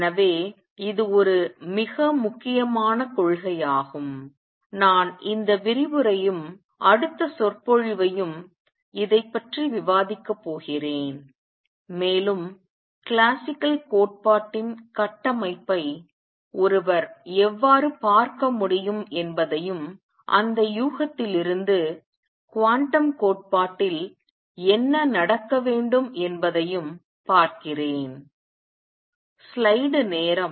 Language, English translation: Tamil, So, it is a very important principle and I am going to spend this lecture and the next lecture discussing this and also see how one could look at the structure of classical theory and from that guess what should happen in quantum theory